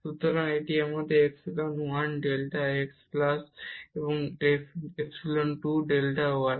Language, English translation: Bengali, So, this is our epsilon 1 delta x plus this epsilon 2 delta y